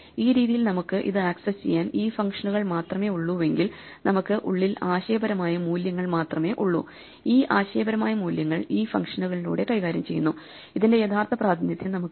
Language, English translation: Malayalam, In this way if we have only these functions to access the thing then we have only conceptual values inside and these conceptual values are manipulated through these functions and we do not know the actual representation